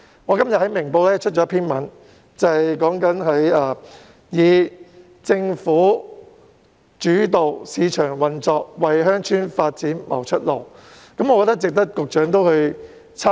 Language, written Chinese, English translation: Cantonese, 我今天在《明報》刊登了一篇題為"以'政府主導市場運作'模式為鄉村發展拓出路"的文章，值得局長參考。, Today I have published an article in Ming Pao entitled Adopt a government - led market - operated model to open up a new path for rural development which is worthy of the Secretarys consideration